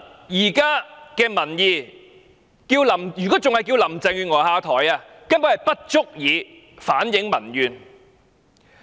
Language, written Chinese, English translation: Cantonese, 如果只是要求林鄭月娥下台，根本不足以反映民怨。, It cannot reflect the public grievances if we just demand Carrie LAM to step down